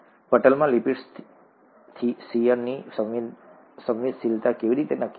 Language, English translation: Gujarati, How do lipids in the membrane determine shear sensitivity